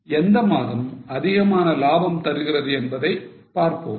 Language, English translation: Tamil, And then we will discuss as to which month has more profits